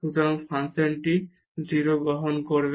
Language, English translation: Bengali, So, the function will take the value 0